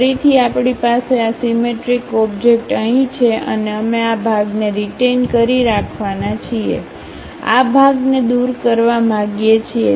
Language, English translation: Gujarati, Again we have this symmetric object here and we would like to retain this part, remove this part